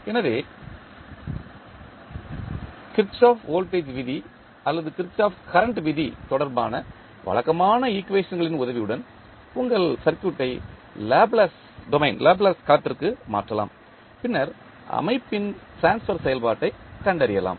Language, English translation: Tamil, So, with the help of the conventional equations related to Kirchhoff Voltage Law or Kirchhoff Current Law, you can convert your circuit into the Laplace domain and then find out the transfer function of the system